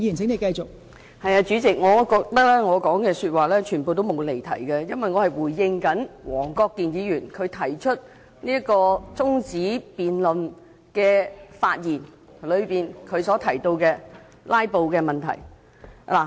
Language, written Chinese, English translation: Cantonese, 代理主席，我覺得我全部發言均沒有離題，因為我是回應黃國健議員在提出中止待續議案的發言時提到的"拉布"問題。, Deputy President I think not a single word I said has strayed away from the subject because I was just responding to the remarks made by Mr WONG Kwok - kin who mentioned the issue of filibustering in his speech moving the adjournment motion